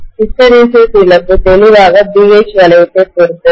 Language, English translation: Tamil, Hysteresis loss clearly depends upon the BH loop